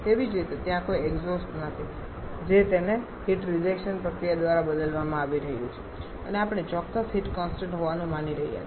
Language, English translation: Gujarati, Similarly there is no exhaust it is being replaced by heat rejection process and we are assuming the specific heats to be constant